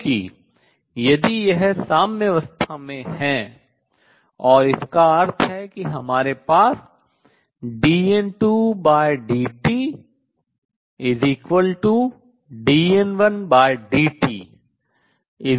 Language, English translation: Hindi, So, again we are going to say that at equilibrium dN 2 by dt is equal to dN 1 by dt is going to be 0